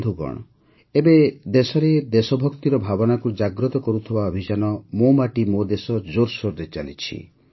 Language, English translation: Odia, Friends, At present, the campaign to evoke the spirit of patriotism 'Meri Mati, Mera Desh' is in full swing in the country